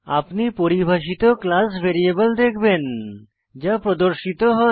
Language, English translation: Bengali, You will notice the class variable you defined, also show up